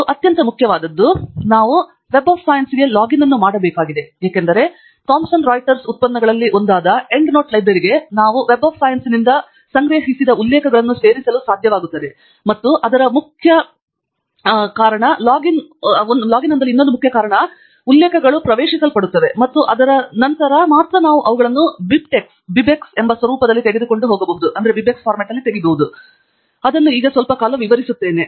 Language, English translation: Kannada, And most important, we need the login to Web of Science because we want to be able to add the references which we collect from Web of Science into End Note Library which is also one of the products of Thomson Reuters and its important for us to have a login because that is where the references will be entered, and only after that we can take them out in the format called BibTeX which I will be illustrating shortly